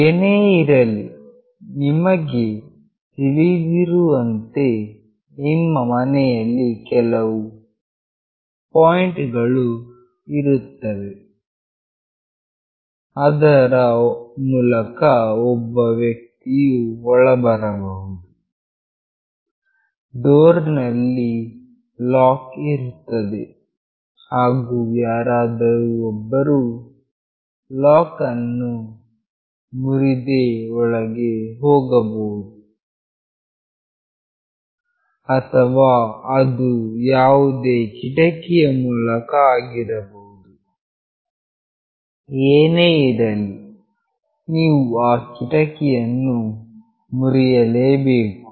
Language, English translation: Kannada, Any way if you know that there are certain points in your house through which a person can enter; the door there is a lock and someone has to break that lock and have to enter, or it can be from some windows anyway you have to break that window